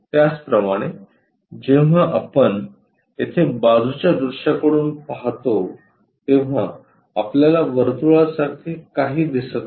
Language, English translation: Marathi, Similarly, when we are looking from side view here we do not see anything like circle